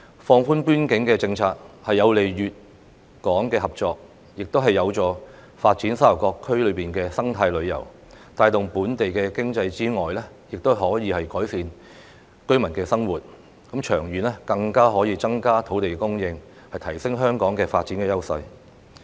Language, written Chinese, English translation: Cantonese, 放寬邊境政策有利粵港合作，亦有助發展沙頭角區內的生態旅遊，除可帶動本地經濟外，亦可改善居民生活，長遠更加可以增加土地供應，提升香港的發展優勢。, The relaxation of the frontier closed area restriction policy is conducive to the cooperation between Guangdong and Hong Kong and it will also help the development of the eco - tourism in Sha Tau Kok which apart from boosting local economy and improving the livelihood of local residents will help to increase the supply of land and enhance Hong Kongs edge in development in the long run